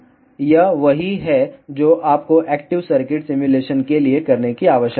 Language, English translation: Hindi, So, this is what you need to do for active circuit simulation